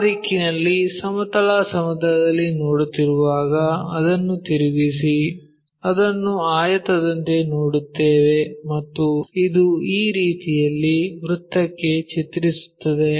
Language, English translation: Kannada, So, when we are looking in that direction horizontal plane rotate it we will see it like it rectangle and this one maps to a circle in that way